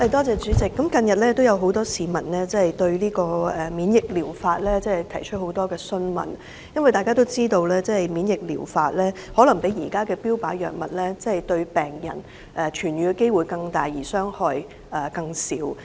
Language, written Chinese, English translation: Cantonese, 主席，近日有很多市民查詢免疫療法的資料，因為大家都知道這療法與現時的標靶治療相比，病人的痊癒機會可能更大而副作用更少。, President many citizens have made enquiries recently about immunotherapy because everyone knows that this treatment option may give patients a bigger chance of recovery and cause less side effects compared with targeted therapy